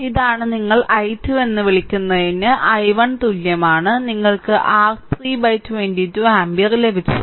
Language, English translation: Malayalam, So, this is your what you call i 2 is equal to i 1, we have got your 1 by 22 ampere